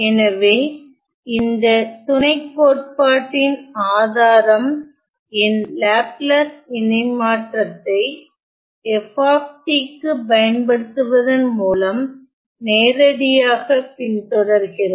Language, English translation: Tamil, So, the proof the proof of this lemma it follows directly by applying my Laplace transform to the function to f of t